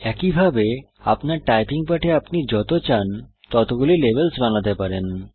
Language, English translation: Bengali, Similarly you can create as many levels as you want in your typing lesson